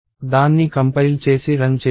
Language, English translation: Telugu, So, let us compile it and run it